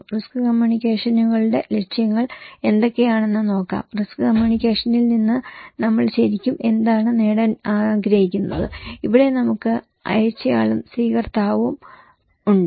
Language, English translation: Malayalam, Let us look what are the objectives of risk communications, what we really want to achieve from risk communication, where here is so we have sender and the receiver